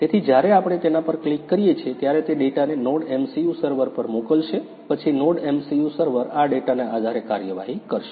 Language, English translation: Gujarati, So, when we click on this one, it will send the data to a NodeMCU server, then NodeMCU server will take the action based on this data